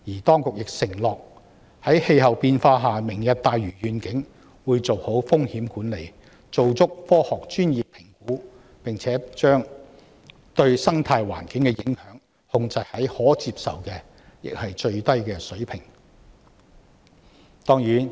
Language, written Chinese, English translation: Cantonese, 當局承諾在氣候變化下，會就"明日大嶼願景"妥善進行風險管理及科學專業評估，並把對生態環境的影響控制在可接受且最低的水平。, In view of climate change the authorities have undertaken that with regard to the Lantau Tomorrow Vision proper risk management and scientific and technical assessments will be carried out and the impact on the ecological environment will be contained at the acceptable and the lowest levels